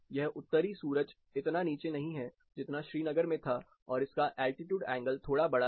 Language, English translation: Hindi, This Northern sun is not as steep as you found in Srinagar and it is slightly with a higher altitude angle